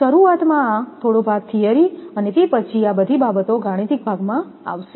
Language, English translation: Gujarati, This part initially little bit of theory and after that all these things will come mathematics part